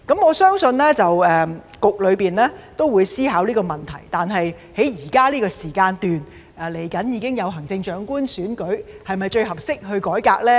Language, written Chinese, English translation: Cantonese, 我相信局方也會思考這個問題，但現時快將舉行行政長官選舉，是否最適合改革的時間呢？, I believe that the Bureau will also contemplate this issue but with the Chief Executive Election coming up is this the most appropriate time for reform?